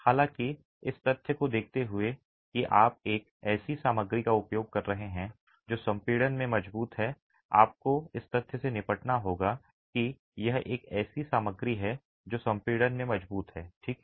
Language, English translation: Hindi, However, given the fact that you are using a material which is strong in compression, you are going to have to deal with the fact that this is a material which is strong in compression